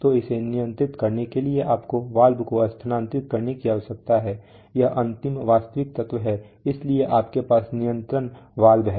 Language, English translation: Hindi, So for controlling that you need to move a valve this is the final actual element, so you have a control valve